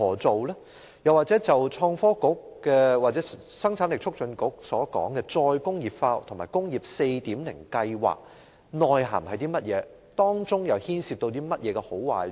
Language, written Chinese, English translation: Cantonese, 創新及科技局或香港生產力促進局所說的"再工業化"和"工業 4.0" 計劃的內涵，究竟是甚麼？, What is the substance of the re - industrialization or Industry 4.0 referred to by the Innovation and Technology Bureau or the Hong Kong Productivity Council?